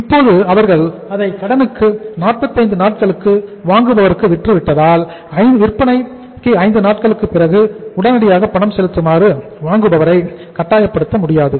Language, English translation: Tamil, Now since they have sold it for 45 days of the credit period to the buyer they cannot force the buyer to make the payment immediately that is just 5 days after the sales